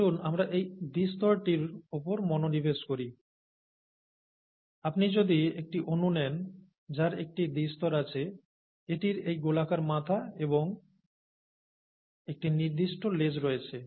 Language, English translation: Bengali, For now, let us focus on this double layer here, which has, if you take one molecule that comprises a double layer, it has this round head and a certain tail